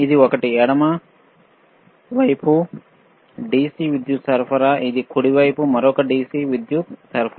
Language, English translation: Telugu, This one is DC power supply, this is another DC power supply